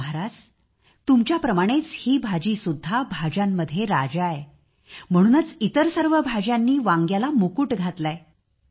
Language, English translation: Marathi, Lord, just like you this too is the king of vegetables and that is why the rest of the vegetables have adorned it with a crown